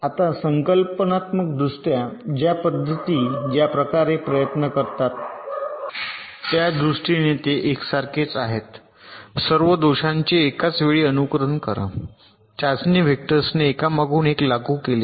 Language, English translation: Marathi, now, conceptually they are similar in this sense that these methods try to simulate all the faults at the same time, together with test vectors applied on after the other